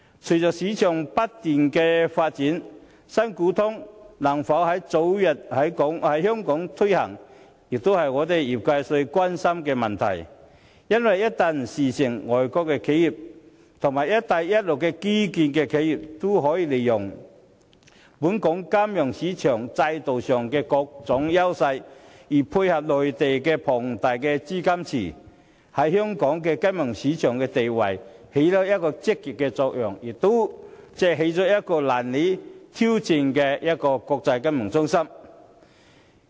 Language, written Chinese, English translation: Cantonese, 隨着市場不斷發展，"新股通"能否早日在香港推行，是我們業界最關心的問題，因為一旦事成，外國企業及"一帶一路"的基建企業便可利用本港金融市場的各種優勢進行集資，另再配合內地龐大的資金池，這項舉措將對香港金融市場的地位發揮積極作用，令香港可以成為難以挑戰的國際金融中心。, With the continuous development of the market whether Primary Equity Connect can be launched expeditiously in Hong Kong is a prime concern of the sector . Once Primary Equity Connect is launched foreign enterprises as well as enterprises engaging in infrastructure construction along the Belt and Road countries can capitalize on the advantages of our financial market to raise funds . Backed by a large liquidity pool in the Mainland our financial market can give full play under this initiative and our position as an international financial centre can hardly be challenged